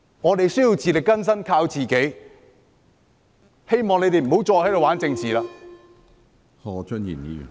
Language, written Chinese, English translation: Cantonese, 我們需要自力更生，要靠自己，希望他們不要再在這裏玩弄政治。, We need to be self - reliant . We have to count on our own efforts . I hope they will stop playing politics here